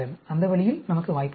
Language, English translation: Tamil, That way we have the chance